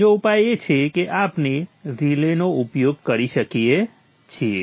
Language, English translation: Gujarati, Another solution is probably we could use a relay